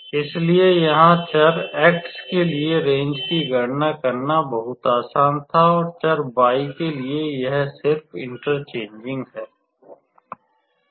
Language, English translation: Hindi, So, it was very fairly easy to calculate the range for the variable x and for the variable y it is just interchanging